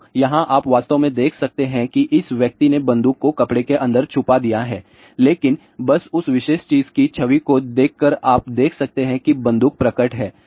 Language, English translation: Hindi, So, here you can actually see that ah this person has concealed the gun inside the cloth , but just by looking at the image of that particular thing you can see that the gun is reveal